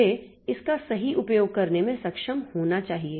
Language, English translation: Hindi, I should be able to utilize it properly